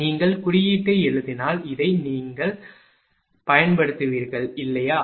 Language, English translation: Tamil, If you write code, you will use this one, right